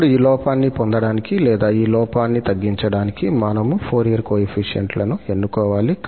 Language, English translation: Telugu, Now, we have to choose the Fourier coefficients to get this error or to minimize this error